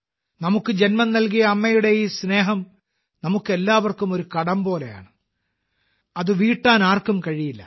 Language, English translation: Malayalam, This love of the mother who has given birth is like a debt on all of us, which no one can repay